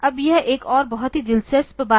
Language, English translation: Hindi, Now, this is another very interesting thing